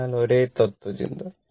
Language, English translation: Malayalam, Same philosophy will be applied